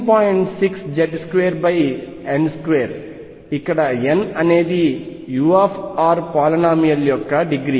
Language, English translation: Telugu, 6 Z square over n square where, n is the degree of polynomial for u r